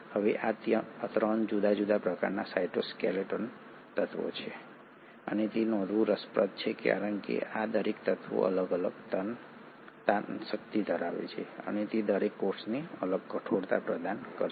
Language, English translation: Gujarati, Now there are 3 different kinds of cytoskeletal elements, and that is interesting to note because each of these elements have different tensile strength and each of them will provide a different rigidity to the cell